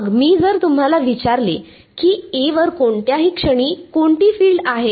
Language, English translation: Marathi, Then, if I ask you what are the fields at any point on A